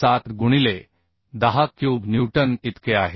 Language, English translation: Marathi, 07 into 10 cube newton or 683